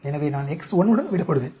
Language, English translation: Tamil, So, I will be left with X 1